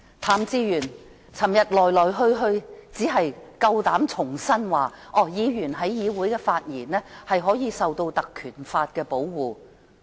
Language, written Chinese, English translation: Cantonese, 譚志源昨天只是重申，議員在議會內的發言可獲《條例》保護。, Yesterday Raymond TAM only reiterated that Members comments in the Council would be protected by the Ordinance